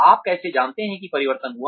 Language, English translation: Hindi, How do you know that change occurred